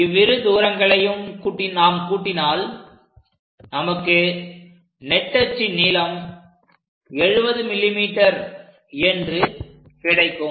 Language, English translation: Tamil, So, if we are going to add these two distances, it is supposed to give us major axis 70 mm